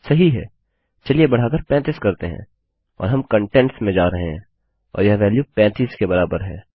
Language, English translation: Hindi, Right, so lets increment to 35 and were going to contents and this value equals 35